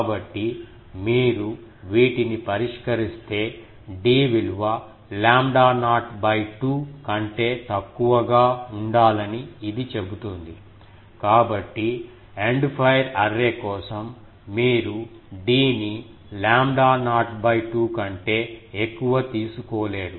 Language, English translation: Telugu, So, if you solve these, this says that d should be less than lambda not by 2; so, you cannot take d more than lambda not by 2 for End fire array